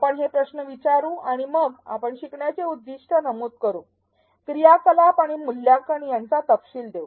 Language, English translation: Marathi, We will ask these questions and then what we do is specify the learning objectives, specify the activities and the assessment